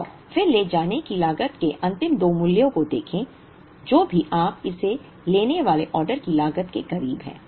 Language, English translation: Hindi, And then, look at the last two values of the carrying cost, whichever is closer to the order cost you take it